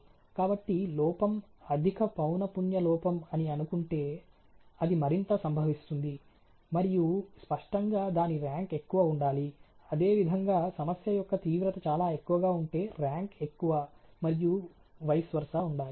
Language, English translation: Telugu, So, supposing of the defect is high frequency defect the occurs more and obviously rank should be more, and similarly if the siviority of the problem is very high the and rank should be more and vis versa